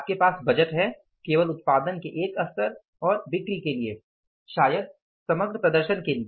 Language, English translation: Hindi, You have the budget only for one level of production and the sales may be the overall performance